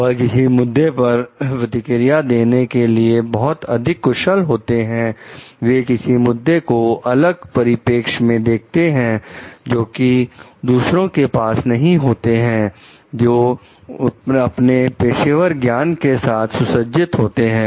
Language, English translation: Hindi, They are more proficient in responding to certain issues, they have a different perspective of looking in certain issues which the others may not have, which their professional knowledge equips them with